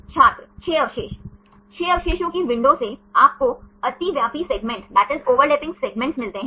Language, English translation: Hindi, by 6 residues Six residues window, you get the overlapping segments